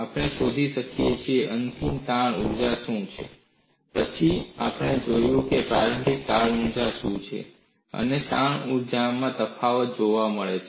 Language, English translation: Gujarati, We find out what is the final strain energy; then, we look at what is the initial strain energy, and the difference in strain energy is seen